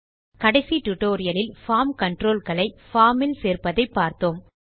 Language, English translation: Tamil, In the last tutorial, we learnt how to add form controls to a form